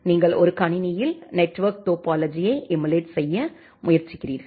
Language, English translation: Tamil, You try to emulate a network topology in a computer